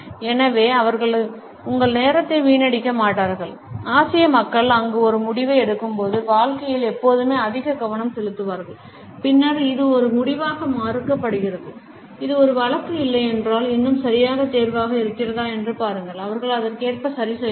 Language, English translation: Tamil, So, they will not be wasting your time there are more focus on the career when the Asian people make a decision there always refute as a decision later on see if it is still the right choice if this is not a case, they will adjust accordingly